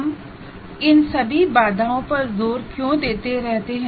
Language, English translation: Hindi, Why we keep insisting on all these constraints and all that